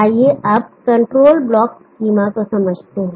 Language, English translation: Hindi, Now let us understand the control block schema